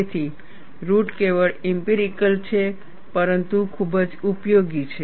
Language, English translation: Gujarati, So, the origin is purely empirical, but very useful